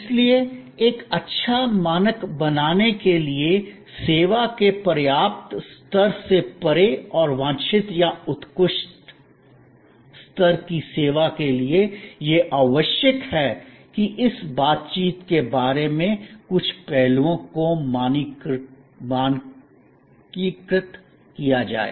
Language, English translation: Hindi, So, to create a good standard, delivery of service which is at least in the, beyond the adequate level of service and approaching the desired or excellent level of service, it is necessary that some aspects are standardized regarding this interaction